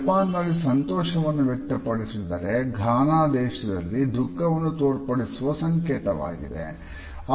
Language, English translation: Kannada, In Japan it is associated with happiness; in Ghana on the other hand it is associated with a sense of sorrow